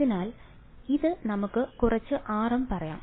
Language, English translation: Malayalam, So, this was let us say some r m